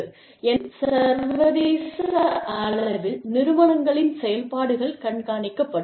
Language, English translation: Tamil, So, various ways in which, the functioning of organizations, that are situated internationally, is monitored